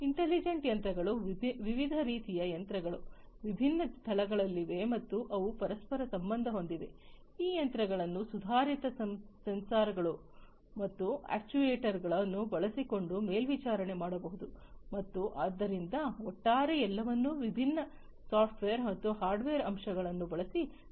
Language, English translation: Kannada, Intelligent machines, different kinds of machines, are located at different locations and they are interconnected, these machines can be monitored using advanced sensors and actuators and so, overall everything is connected using different software and hardware elements